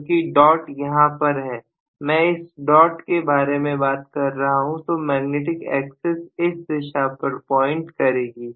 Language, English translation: Hindi, Because dot is on the top I am talking about this as dot so the magnetic axis is pointing in this direction, right